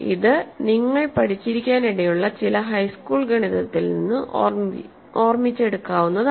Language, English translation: Malayalam, This is something that you may have studied in you may remember from some high school arithmetic that you may have done